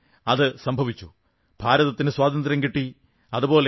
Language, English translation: Malayalam, But this did happen and India got freedom